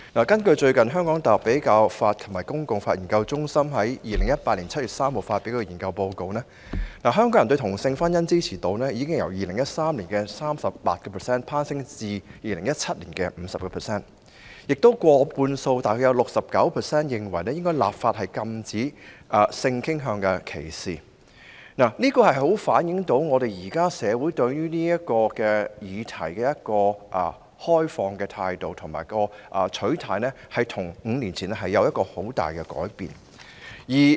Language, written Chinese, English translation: Cantonese, 根據香港大學比較法及公法研究中心在2018年7月3日發表的研究報告，香港人對同性婚姻的支持度已由2013年的 38% 攀升至2017年的 50%， 有過半數受訪者認為應立法禁止性傾向歧視，足以反映出社會對這議題的開放態度，取態與5年前相比出現很大改變。, According to the study report published by the Centre of Comparative and Public Law of the University of Hong Kong on 3 July 2018 the percentage of Hong Kong people in support of same - sex marriage already rose from 38 % in 2013 to 50 % in 2017 . Over half about 69 % of the respondents thought that legislation should be enacted to prohibit discrimination against sexual orientations . This can show that a drastic change has happened to our societys receptiveness and attitude towards this topic over the past five years